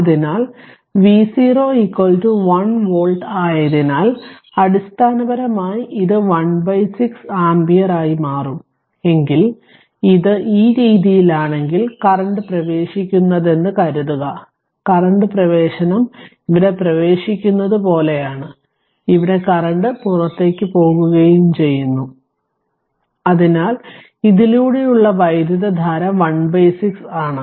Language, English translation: Malayalam, So, V 0 is 1 volt so, basically it will become 1 by 6 ampere 1 by 6 ampere right and, if you if you find and if you take this way that what is the current, suppose if I take this way that what is the current entering here like entering here, the way you take or if you take the current leaving this one